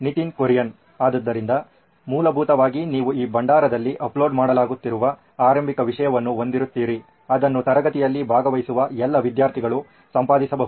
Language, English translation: Kannada, So basically you will have an initial content that is being uploaded into this repository which can be edited by all the students participating in the class